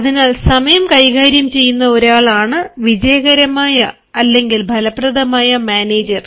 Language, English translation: Malayalam, so a successful or an effective manager is one who manages time